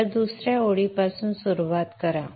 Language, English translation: Marathi, So start from the second line